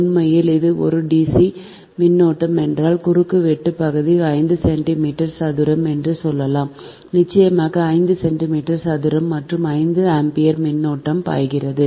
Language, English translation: Tamil, suppose cross sectional area is, say five centimeters square for a cond, a very large of course, five centimeter square, and say five ampere current is flowing